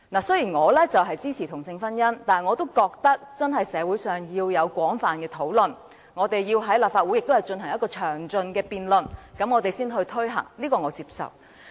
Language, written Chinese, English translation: Cantonese, 雖然我支持同性婚姻，但我也覺得真的要在社會進行廣泛討論，以及在立法會進行詳盡辯論後才可推行，這點我是接受的。, Although I support same - sex marriage I think it is indeed necessary for society to conduct extensive discussions and for the Legislative Council to hold thorough debates before its implementation and this I accept